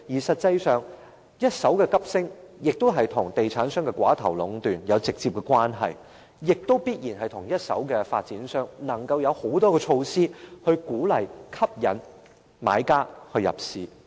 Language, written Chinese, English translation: Cantonese, 實際上，一手樓價急升，與地產商的寡頭壟斷有直接關係，亦必然與一手樓宇的發展商能夠推出種種措施，鼓勵、吸引買家入市有關。, Actually the sharp increase of primary residential properties transactions is directly related to the oligopoly in the property market as well as the ability of developers to offer promotional packages to encourage or attract potential buyers to acquire properties